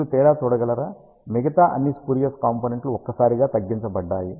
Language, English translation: Telugu, Can you see the difference; all the rest of the spurious components have been dramatically reduced